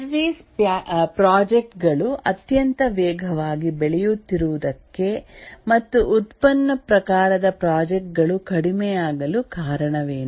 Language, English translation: Kannada, What is the reason that the services projects are growing very fast and the product type of projects are becoming less